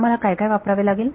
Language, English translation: Marathi, What all do I have to use